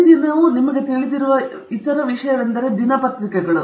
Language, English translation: Kannada, The other thing that you are very familiar with on a daily basis is newspapers